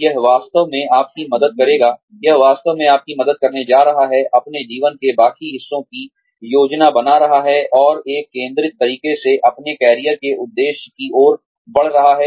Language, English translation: Hindi, This is going to really help you, in planning the rest of your lives, and moving in a focused manner, towards your career objective